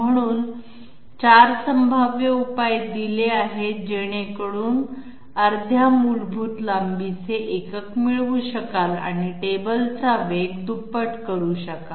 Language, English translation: Marathi, So 4 possible solutions are given in order to get half the basic length unit and double the table speed